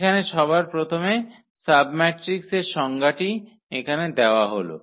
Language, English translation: Bengali, So, first the definition here of the submatrix